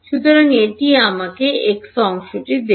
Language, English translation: Bengali, So, that will give me the x part